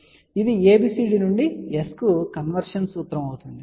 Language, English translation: Telugu, So, this is the ABCD to S conversion formula